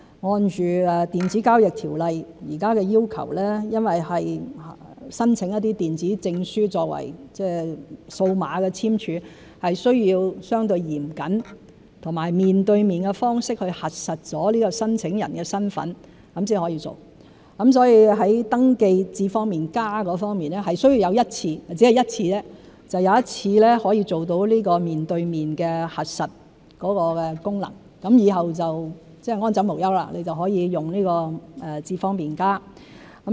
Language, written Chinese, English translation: Cantonese, 按《電子交易條例》現時的要求，因為是申請電子證書作為數碼簽署，是需要相對嚴謹和面對面的方式去核實申請人的身份才可以做，所以在登記"智方便＋"方面是需要有一次——只要一次——做到面對面核實功能，以後就安枕無憂，可以用"智方便＋"。, As currently required by the Electronic Transactions Ordinance since digital signing is used for applications for e - Certs it is necessary to verify the applicants identity in a relatively stringent manner and in person . For this reason the registration for iAM Smart requires identity verification to be conducted in person once―only once―after which iAM Smart can be used worry - free